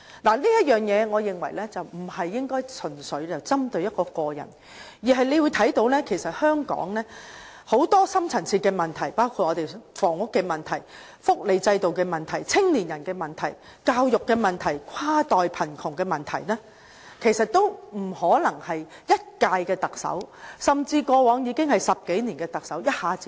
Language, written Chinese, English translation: Cantonese, 我認為這件事不應純粹針對個人，香港其實有很多深層次問題，包括房屋問題、福利制度問題、青年人問題、教育問題、跨代貧窮問題，其實都不可能由一屆特首，甚至過往10多年歷任特首一下子解決。, Therefore I believe we should not blame the problem on an individual . In fact Hong Kong is full of deep - rooted problems including problems relating to housing welfare system young people education and cross - generation poverty . We cannot simply expect the Chief Executive to resolve them all within one term nor can we possibly expect all the previous Chief Executives in the last 10 years to deal with them all in one go